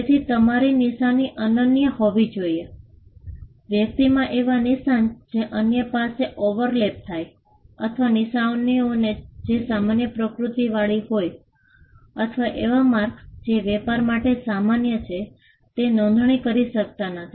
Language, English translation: Gujarati, So, your mark had to be unique, in fact marks which are overlapping with other, marks or marks which are generic in nature, or marks which are common to trade cannot be registered